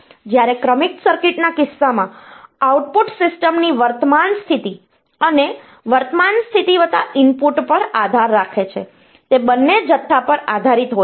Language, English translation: Gujarati, Whereas, in case of sequential circuits, output depends on current state of the system, current state plus input, it depends on both the quantities